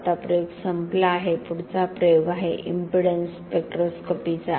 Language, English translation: Marathi, Now the experiment is over, the next experiment is impedance spectroscopy